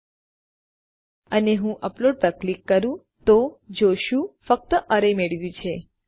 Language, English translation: Gujarati, When we do and I click on upload, we can see we just get Array